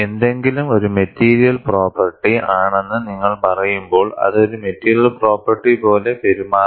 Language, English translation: Malayalam, When you say something is a material property, it should behave like a material property